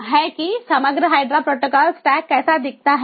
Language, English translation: Hindi, so this is how the overall hydra protocol stack looks like